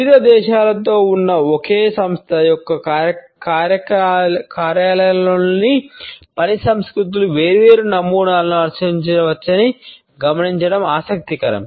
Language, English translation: Telugu, It is interesting to note that the work cultures in the offices of the same company, which are located in different countries, may follow different patterns